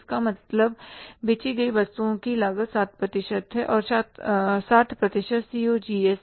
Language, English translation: Hindi, It means cost of goods sold is 60%